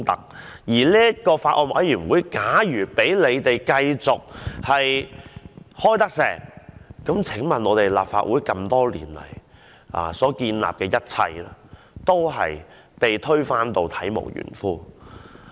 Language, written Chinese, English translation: Cantonese, 假如我們繼續讓這個法案委員會召開會議的話，那麼立法會多年來所建立的一切，都會被推翻得體無完膚。, If we had allowed the Bills Committee to go ahead with the meeting then all the conventions established by the Legislative Council over the years would have been totally ruined